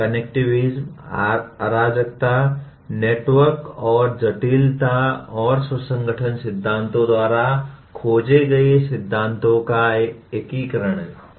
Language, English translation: Hindi, Connectivism is the integration of principles explored by chaos, network and complexity and self organization theories